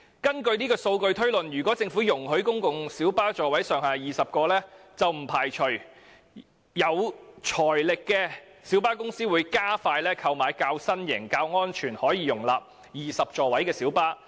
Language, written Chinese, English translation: Cantonese, 按此數據推算，如果政府容許提高公共小巴座位上限至20個，不排除有財力的小巴公司會加快購買較新型及較安全，並可容納20個座位的小巴。, On the basis of these figures and assuming that the Government approves the increase of the maximum seating capacity of light buses to 20 we cannot rule out the possibility that some light bus companies having strong financial backing will expedite the purchase of newer and safer light buses which can accommodate 20 seats